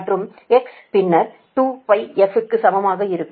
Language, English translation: Tamil, so and this one x is equal to two pi in to